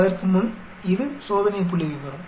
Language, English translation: Tamil, Before that this is the test statistic